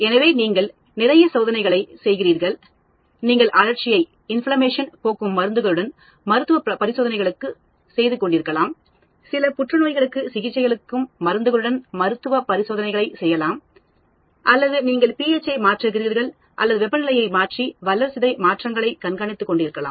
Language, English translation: Tamil, So, you are doing lot of experiments, you may be doing clinical trials with drugs towards inflammation, maybe doing clinical trials with drugs towards treatment of some cancer or you may be doing a fermentation where you are changing ph or changing temperature and looking at yield of some metabolites